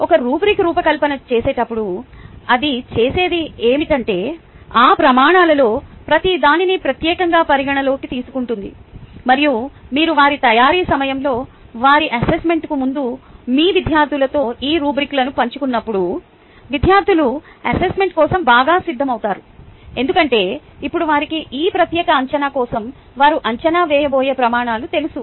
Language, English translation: Telugu, while designing a rubric, what it does is it takes account of each of those criteria specifically and ah you, when you share these rubrics with your students prior to their assessment, during their preparation time, students comes with the better ah prepared for the assessment, because now they know on what all criterias they are going to be evaluated for this particular assessment